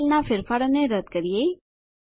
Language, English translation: Gujarati, Let us delete the changes in this cell